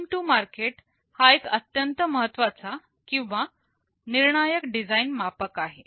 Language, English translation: Marathi, Time to market is a very important or crucial design metric